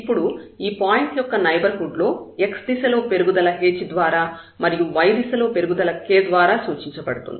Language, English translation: Telugu, Now in this neighborhood of this point, either in this increment in this direction is denoted by h increment in the y direction was denoted by k